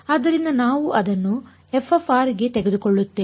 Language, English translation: Kannada, So, we just absorbed it into f of r